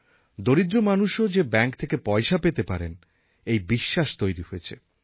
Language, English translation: Bengali, Now the poor have this faith that they too can get money from the bank